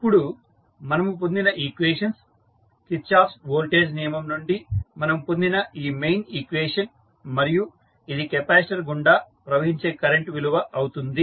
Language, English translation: Telugu, Now, the equations which we have got this main equation which we got from the Kirchhoff’s voltage law and then this is the value of current which is flowing through the capacitor